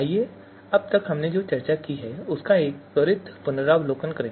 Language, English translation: Hindi, So let us do a quick recap of what we have discussed so far